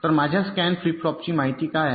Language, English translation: Marathi, so what are the inputs of my scan flip flop